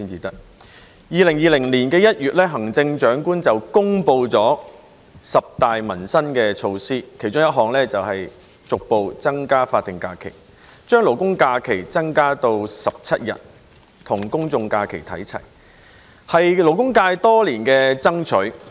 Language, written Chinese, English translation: Cantonese, 在2020年1月，行政長官公布了十大民生措施，其中一項是逐步增加法定假日，把勞工假期增加至17天，與公眾假期看齊，這是勞工界多年所爭取的。, In January 2020 the Chief Executive announced 10 major initiatives for peoples livelihoods and one of which is to increase progressively the number of statutory holidays SHs or labour holidays to 17 days so that it will be on a par with the number of general holidays GHs